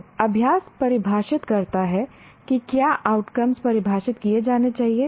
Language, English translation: Hindi, So the practice defines what outcomes should be defined